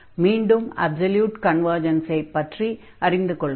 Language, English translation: Tamil, And we have also discussed about the absolute convergence there